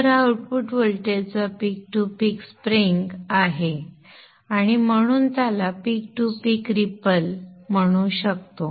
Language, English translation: Marathi, So this is the peak to peak swing of the output voltage and therefore we can call that one as the peak to peak ripple